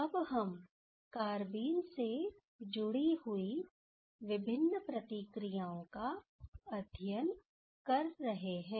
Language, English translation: Hindi, Now, we are studying among the different reactions that is associated with carbenes